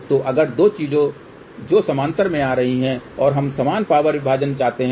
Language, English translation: Hindi, So, if the 2 things which are coming in parallel and we want equal power division